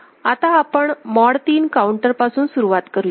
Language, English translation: Marathi, So, we begin with mod 3 counter ok